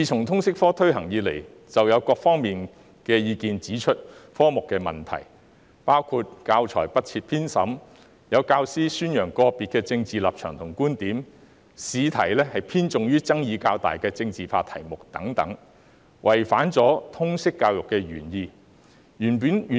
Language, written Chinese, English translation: Cantonese, 通識科自推行以來，各方意見已指出該科的問題，包括教材不設編審、有教師宣揚個別的政治立場和觀點、試題偏重於爭議較大的政治化題目等，違反通識教育的原意。, Since the introduction of the LS subject various parties have pointed out the problems with the subject . These include the lack of editorial assessment of teaching materials the promotion of individual political stances and views by some teachers and the bias of examination questions towards relatively controversial and politicized subjects and so on which are contrary to the original intent of LS education